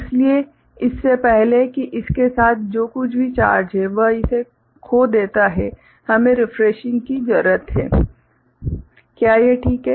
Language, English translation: Hindi, So, before it loses significantly it whatever charge it has there with it; we need refreshing, is it fine